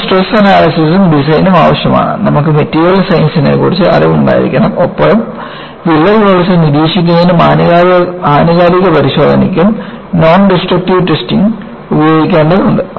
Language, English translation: Malayalam, You need to have Stress Analysis and Design, you need to have knowledge of Material Science and you need to employ Non Destructive Testing to monitor the crack growth and also, for periodic inspection